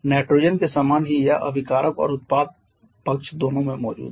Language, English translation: Hindi, Quite similar to nitrogen it is present in both reactant and product side